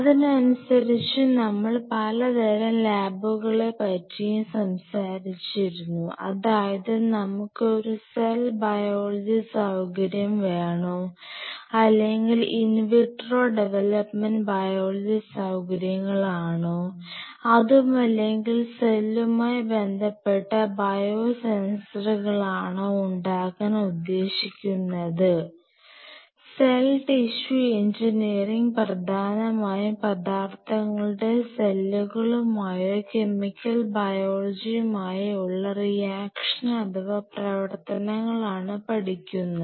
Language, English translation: Malayalam, So, in that aspect we talked about the different kinds of lab like you know whether we have a cell biology facility, wanted to develop or in vitro development biology facilities if you want to develop or you have a lab on cell based biosensors, cell tissue engineering like mostly on the material interaction with the cells or chemical biology